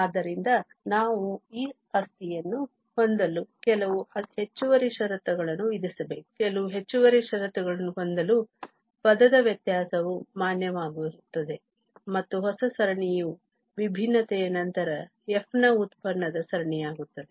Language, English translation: Kannada, So, we have to impose some extra condition, some additional condition to have this property that this term by term differentiation is valid and the new series after this differentiation becomes the series of the derivative of f